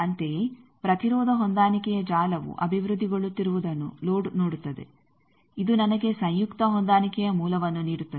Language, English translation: Kannada, Similarly, load will also see that the impedance matching network is developing giving me the conjugate matched source